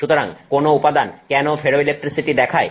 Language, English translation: Bengali, So, why does a material show ferroelectricity